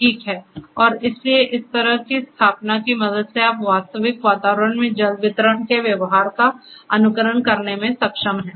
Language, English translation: Hindi, Alright and so, basically with the help of this kind of installation, you are able to emulate the behavior of water distribution in a reals real kind of environment